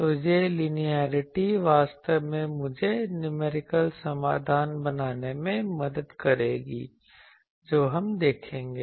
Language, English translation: Hindi, So, this linearity actually will help me to make the numerical solution that we will see